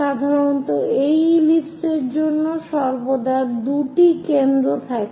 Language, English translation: Bengali, Usually, for ellipse, there always be 2 foci